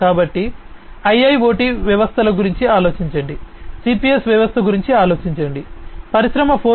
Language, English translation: Telugu, So, think about IIoT systems, think about a CPS systems, in Industry 4